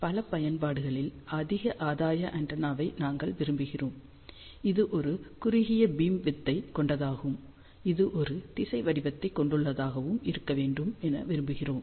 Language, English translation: Tamil, There are many applications, where we would like to have a high gain antenna, which has a narrow beam width and also it has a directional pattern